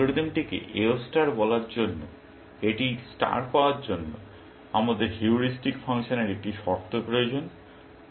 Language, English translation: Bengali, For this algorithm to be called AO star, for it to deserve the suffix of star, we need a condition on the heuristic function